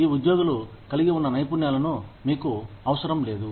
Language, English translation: Telugu, You do not need the skills, that these employees had